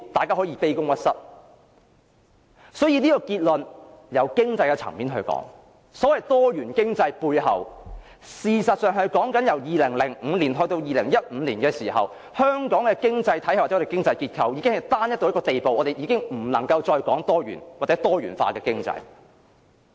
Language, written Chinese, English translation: Cantonese, 所以，從經濟層面而言，結論是所謂多元經濟，事實上是指由2005年到2015年的時候，香港的經濟體系或經濟結構已經單一到一個地步，我們已經不能夠再談多元，或是多元化的經濟。, Therefore as far as the economic level is concerned my conclusion is that the so - called diversified economy became increasingly centralized during the period from 2005 to 2015 so much so that Hong Kongs economic system or economic structure can no longer be described as diversified; nor can we talk about a diversified economy